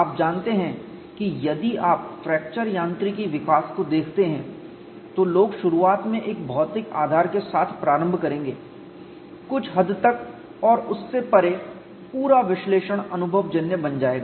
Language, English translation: Hindi, You know if you look at fracture mechanics development people will initially start with a physical basis go to some extend and beyond that the whole analysis will become empirical